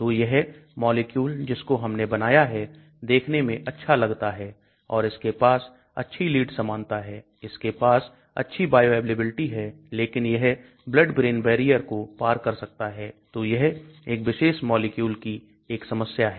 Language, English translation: Hindi, So this molecule which I have drawn appears to be good and it has got good lead likeness, it has got good bioavailability, but it can penetrate the blood brain barrier so that is one of the problems of this particular molecule